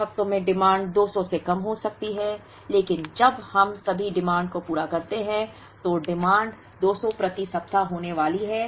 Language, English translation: Hindi, Some weeks the demand can less than 200 but when we average out all the demand, the demand is going to be 200 per week